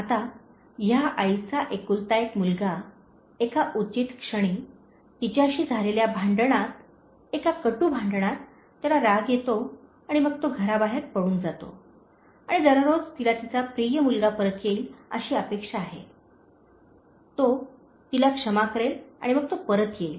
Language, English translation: Marathi, Now, this mother’s only son, in a fit of a moment, in a quarrel with her, in a bitter quarrel with her, he gets angry and then he runs away from the home and each day she is expecting that her lovable son would return, he will forgive her and then he would come back